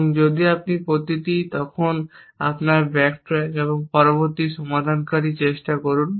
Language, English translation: Bengali, And if you each at then your backtrack and try the next resolver